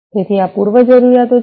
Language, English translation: Gujarati, So, these are the prerequisites